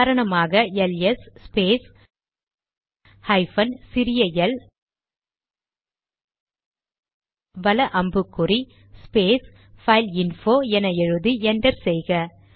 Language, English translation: Tamil, Say we write ls space minus small l space right angle bracket space fileinfo and press enter